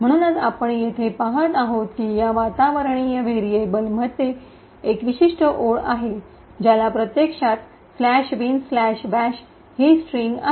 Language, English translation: Marathi, So, as we see over here there is one particular line in this environment variables which actually has the string slash bin slash bash